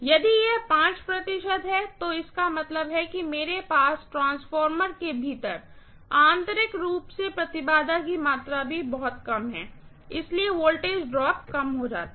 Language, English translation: Hindi, If it is 5 percent, that means I have even lesser amount of impedance internally within the transformer, so the voltage drop becomes less and less